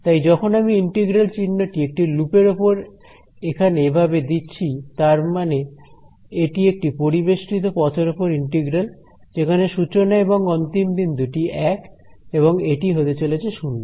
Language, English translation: Bengali, So, when I put on the integral sign a loop over here like this it means that it is a integral over a closed path starting point initial point is the same and this is going to be zero right